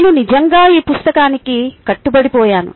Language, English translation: Telugu, i was really hooked on to this book